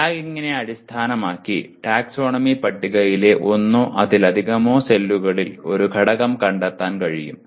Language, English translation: Malayalam, Based on the tagging an element can be located in one or more cells of the taxonomy table